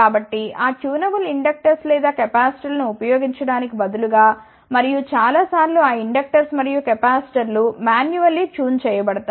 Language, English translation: Telugu, So, instead of using those tunable inductors or capacitors and many a times those inductors and capacitors are tuned manually